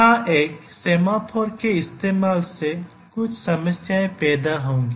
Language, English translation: Hindi, Here using a semaphore will lead to some problems